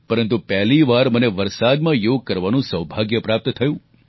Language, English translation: Gujarati, But I also had the good fortune to practice Yoga in the rain for the first time